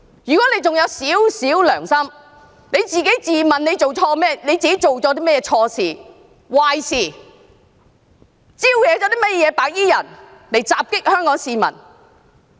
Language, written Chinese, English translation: Cantonese, 如果何議員還有一點良心，請自問做了甚麼錯事、壞事，招惹白衣人襲擊香港市民。, If Dr HO still has a little conscience please ask yourself what improper and bad things you have done to provoke white - clad people to attack Hongkongers